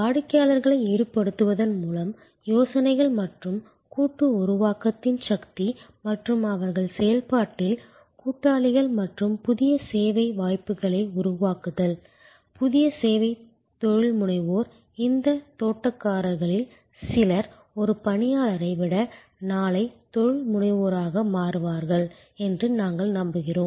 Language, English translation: Tamil, Power of crowd sourcing of ideas and co creation by involving customer and they are associates in the process and creating new service possibilities, new service entrepreneursm, we believe that some of these gardeners will become tomorrow entrepreneur rather than an employee